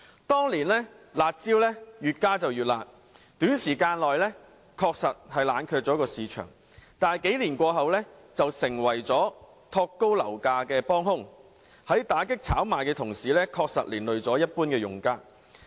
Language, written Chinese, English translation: Cantonese, 當年"辣招"越加越辣，短時間內冷卻樓市，但幾年過後，卻成為推高樓價的幫兇，在打擊炒賣的同時，確實連累了一般用家。, A few years ago the increasingly harsh curb measures were able to cool down the property market within a short period of time but now they have become a contributory factor in pushing up property prices victimizing ordinary users while cracking down on speculative activities